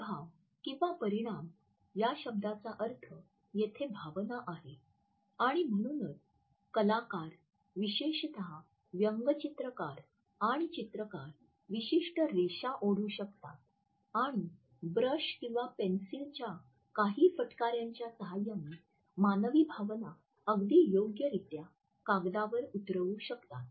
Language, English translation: Marathi, The word “affect” means emotion and therefore, artists particularly cartoonists and illustrators, can draw certain lines and with a help of a few strokes of brush or pencil can draw human emotions very appropriately or a piece of paper